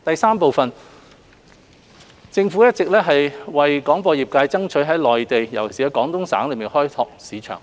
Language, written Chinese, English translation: Cantonese, 三政府一直有為廣播業界爭取在內地，尤其廣東省開拓市場。, 3 The Government has been striving to develop the Mainland market particularly that of the Guangdong Province for the broadcasting sector